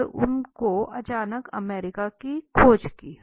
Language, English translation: Hindi, And he suddenly discovered the America